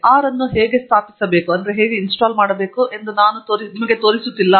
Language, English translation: Kannada, I am not going to show you how to install R